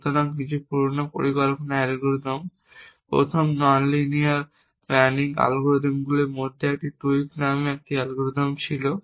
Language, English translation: Bengali, So, some of the older planning algorithms, there was an algorithm called tweak one of the first nonlinear planning algorithms